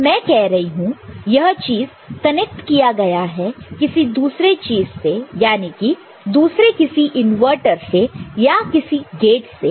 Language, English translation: Hindi, So, I am talking about this is being connected to another device another such inverter or other gates right